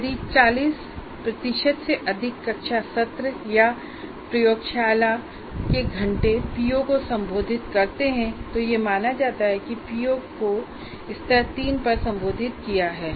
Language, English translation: Hindi, For example, if more than 40% of classroom sessions or lab hours addressing a particular PO, it is considered that PO is addressed at level 3